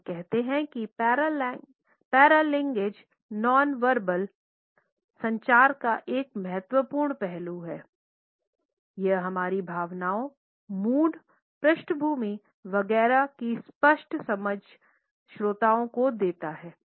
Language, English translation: Hindi, So, we say that paralanguage is an important aspect of nonverbal communication, it passes on a clear understanding of our emotions, moods, background etcetera to the listener